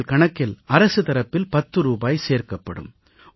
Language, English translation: Tamil, Ten rupees will be credited to your account from the government